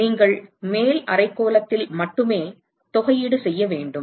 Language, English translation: Tamil, So, you have to integrate only in the upper hemisphere